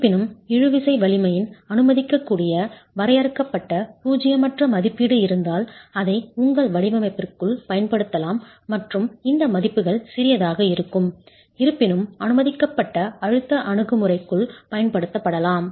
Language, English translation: Tamil, However, if a finite non zero estimate of the permissible of the tensile strength is available, you can then use it within your design and these values are small, however, can be used within the permissible stresses approach